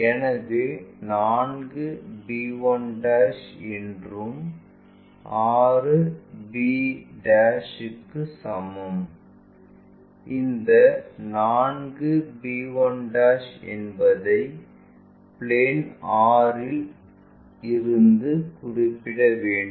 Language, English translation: Tamil, So, 4 b 1' is equal to 6 b' in such a way that this one 4 b 1' from the plane 6 we are going to identify